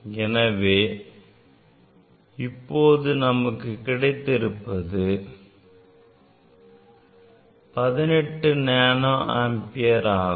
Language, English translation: Tamil, Of course, it is we have taken 100 nanoampere